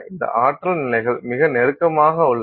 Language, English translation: Tamil, So, and these energy levels are extremely closely spaced